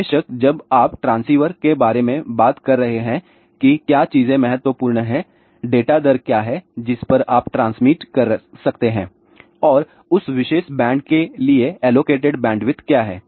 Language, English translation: Hindi, Of course, when you are talking about transceiver what are the important things, what is the data rate, at which you can transmit and what is the bandwidth allocated for that particular band